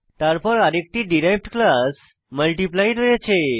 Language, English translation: Bengali, Now we have another derived class as Multiply